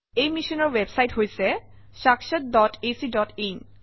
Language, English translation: Assamese, The website for this mission is sakshat.ac.in